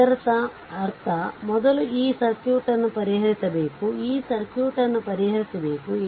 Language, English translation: Kannada, So, that means, first you have to solve this circuit right, you have to solve this circuit